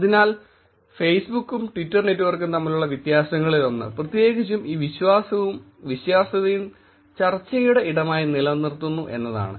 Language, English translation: Malayalam, So, that is the one of the differences between the Facebook and twitter network, particularly keeping this trust and credibility as the space of discussion